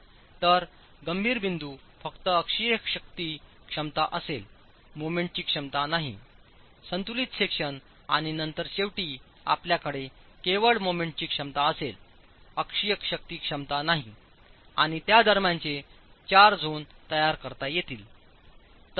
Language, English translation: Marathi, So critical points would be only axial force capacity, no moment capacity, then the balance section, and then finally you have only moment capacity, no axial force capacity, and the four zones in between